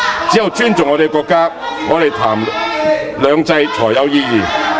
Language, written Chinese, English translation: Cantonese, 只有尊重我們的國家，我們談"兩制"才有意義。, Only when we respect our country would it be meaningful to talk about two systems